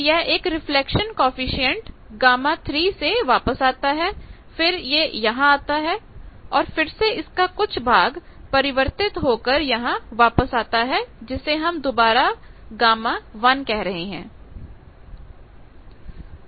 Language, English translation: Hindi, So, it comes back with a reflection coefficient gamma 3, then comes here again here some portion comes back reflected some portion goes here that they are calling is gamma 1, etcetera